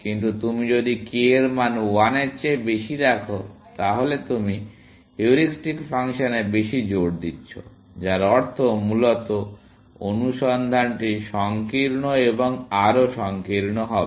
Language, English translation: Bengali, But if you put a value of k greater than 1, then you are giving more emphasis to the heuristic function, which means the search will become narrower and narrower, essentially